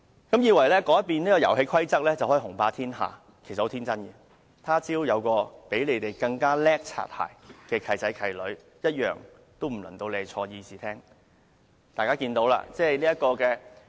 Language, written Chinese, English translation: Cantonese, 你們以為改變遊戲規則便能雄霸天下，其實十分天真，若他朝有較你們更會拍馬屁的"契仔"、"契女"出現時，坐進議事廳的便不再是你們了。, And you the pro - establishment Members are too naïve if you think you can take full control by changing the rules of the game . By the time when there emerges foster sons and daughters who do better than you in currying favour your seats in this Chamber will become theirs